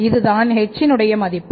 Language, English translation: Tamil, This is a value of z